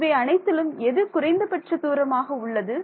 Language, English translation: Tamil, Of all of these things which of the distances is the shortest